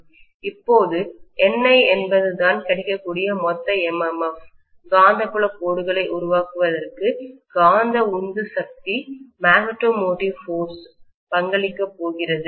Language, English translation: Tamil, Now I can say that NI is the total MMF available, magneto motive force available which is going to contribute towards producing the magnetic field lines